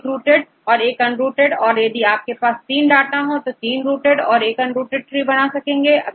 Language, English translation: Hindi, One rooted trees and one unrooted trees if you have 3 data 3 rooted trees and one unrooted tree